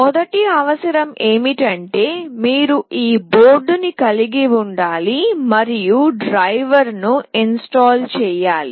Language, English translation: Telugu, The first requirement is that you need to have this board in place and the driver installed